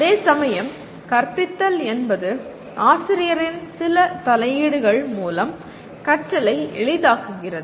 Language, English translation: Tamil, Whereas teaching is facilitating learning through some interventions by the teacher